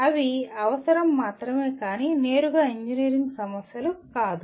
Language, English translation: Telugu, They will only prerequisites but not directly engineering problems